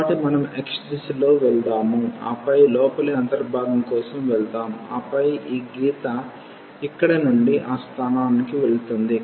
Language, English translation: Telugu, So, let us go in the direction of x and then for the inner integral and then this line will move from this to that point